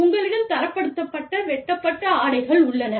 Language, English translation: Tamil, I mean, you have standardized cut garments